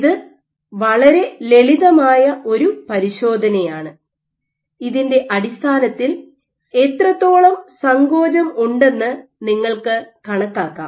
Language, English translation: Malayalam, So, this is a very simple assay based on which you can estimate how much is the contractility